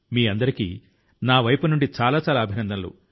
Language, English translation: Telugu, Many many congratulations to all of you from my side